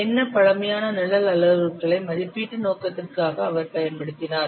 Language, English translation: Tamil, So, what primitive program parameters he has used for the estimation purpose